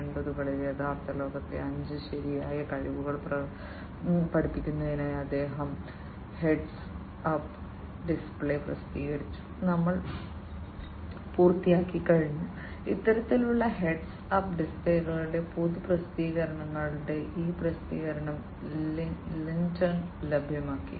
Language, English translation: Malayalam, In 1980s he published heads up display for teaching real world five right skills we are done this publication of public publications of this kind of heads up displays was made available by Lintern